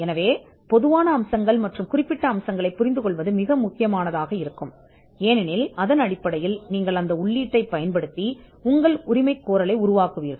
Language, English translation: Tamil, So, understanding the general features and the specific features will be critical, because based on that you will be using that input and drafting your claim